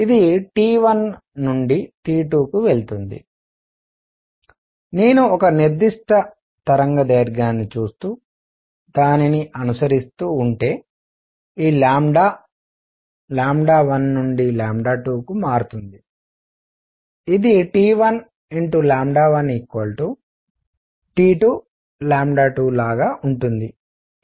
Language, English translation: Telugu, It goes from T 1 to T 2, if I look at a particular wavelength and keep following it, this lambda changes from lambda 1 to lambda 2; it will be such that T 1 lambda 1 is equal to T 2 lambda 2